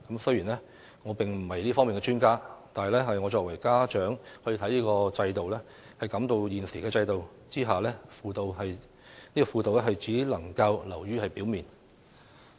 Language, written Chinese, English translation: Cantonese, 雖然我並非這方面的專家，但我作為家長，亦感到在現行制度下，輔導只能流於表面。, I am no expert in this regard but as a parent I also feel that the existing system only permits superficial guidance